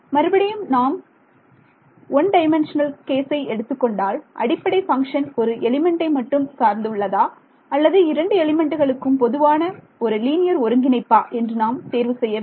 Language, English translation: Tamil, So, again like in 1 D case I had a choice whether the basis function should be belonging only to 1 element or linear combination of something that belongs to both elements right